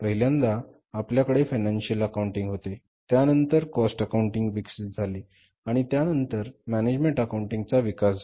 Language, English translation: Marathi, We have first of all financial accounting then we develop the cost accounting and then we develop the management accounting